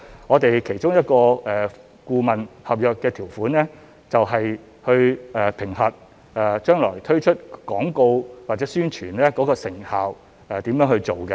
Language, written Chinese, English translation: Cantonese, 我們其中一份顧問合約的條款，就是去評核將來推出廣告或宣傳的成效、如何去做。, Under the clauses of one of the consultant contracts the consultant was required to assess the effectiveness of the advertisements or publicity campaign to be launched